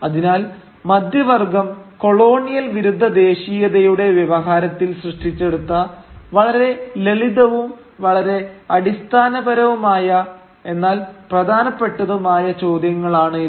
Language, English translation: Malayalam, So, very simple, very basic questions but fundamental questions nevertheless around which the middle class generated this discourse of anti colonial nationalism